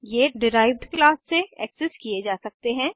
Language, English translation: Hindi, They can be accessed by a derived class